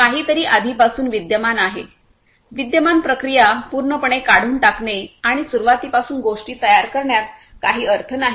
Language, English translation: Marathi, Something is already existing, there is no point in completely removing the existing processes and building things from scratch that is not good